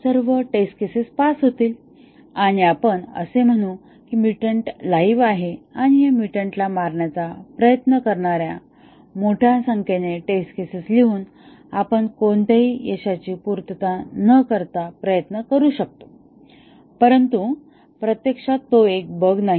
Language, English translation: Marathi, All test cases will pass and we will say that the mutant is alive and we may try without meeting any success writing large number of test cases trying to kill this mutant, but actually it is not a bug